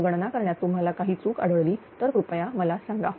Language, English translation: Marathi, If you find any mistake in calculation you just please let me know